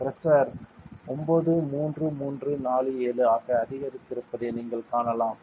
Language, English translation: Tamil, And you can see that the pressure has increased to 93347